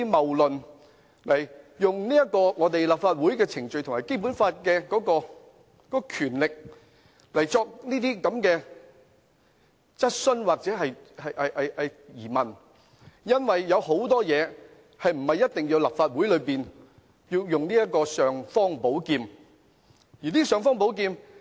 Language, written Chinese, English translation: Cantonese, 他們透過立法會的程序和《基本法》的權力提出這些質詢或疑問，但其實很多事情也不一定要動用立法會的尚方寶劍。, They have raised these questions or queries through the proceedings of the Legislative Council and the powers of the Basic Law but in many cases it is actually not necessary to draw the imperial sword of the Legislative Council